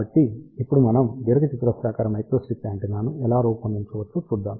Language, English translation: Telugu, So, now let us see how we can design rectangular microstrip antenna